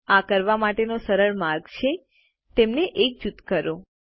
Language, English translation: Gujarati, An easier way to do this is to group them